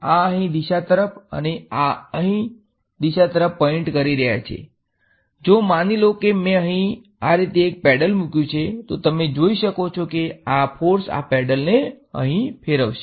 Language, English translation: Gujarati, So, these are pointing in this direction these are pointing in this direction, supposing I put a paddle over here like this, you can see that these forces will make this paddle rotate over here